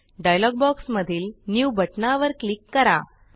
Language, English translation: Marathi, Click on the New button in the dialog box